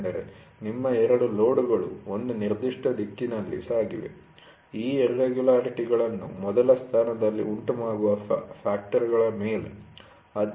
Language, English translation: Kannada, Because your 2 load have moved in one particular direction, on the factor that causes these irregularities in the first place